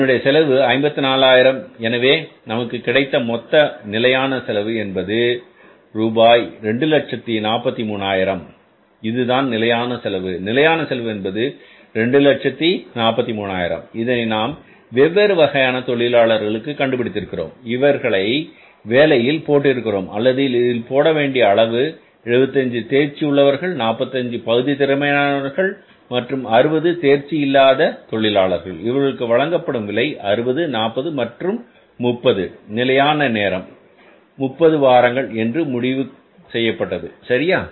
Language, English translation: Tamil, This is the standard cost, 243,000 is going to be the standard cost or the cost of the standards decided depending upon the different type of workers we have put on the job or we were expected to put on the job 75 skilled, 45 semi skilled and 60 unskilled workers, their rates were 60, 40 and 30 and standard time decided was 30 weeks